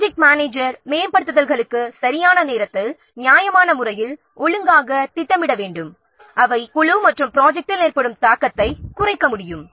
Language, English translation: Tamil, The project manager should plan for the upgrades at five time judiciously properly and the schedule them when the impact on the team and the project can be minimized